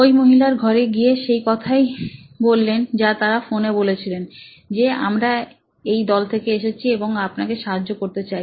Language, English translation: Bengali, So, they went to this lady’s home and said the same thing they said over phone saying that we are from this team and we would like to help you